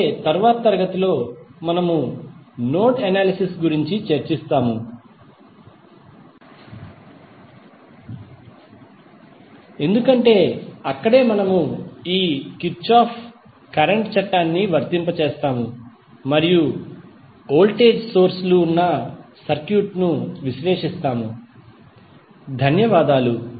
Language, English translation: Telugu, So, in the next class we will discuss about the node analysis because that is where we will apply our Kirchhoff Current Law and analyze the circuit where voltage sources are there, thank you